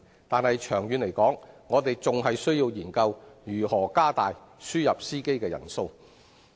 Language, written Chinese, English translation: Cantonese, 但長遠而言，我們仍須研究如何增加輸入司機的數目。, However in the long run we still have to study how to increase the number of imported drivers